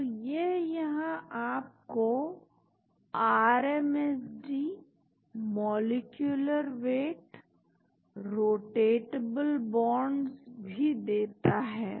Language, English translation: Hindi, So, it also gives you RMSD here molecular weight, rotatable bonds